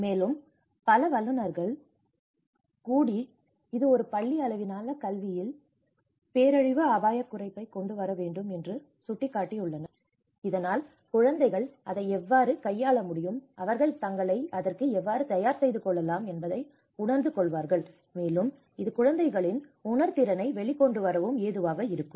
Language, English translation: Tamil, And even many other experts have pointed out that this has to bring that a disaster risk reduction at a school level education so that children will understand the realization of how they can handle it, how they can prepare for it, and it also brings sensitivity among the kids